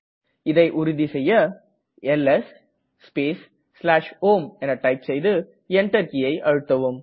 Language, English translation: Tamil, Check this by typing ls space /home and press the Enter